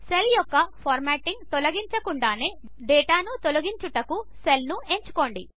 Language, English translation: Telugu, To delete data without removing any of the formatting of the cell, just select a cell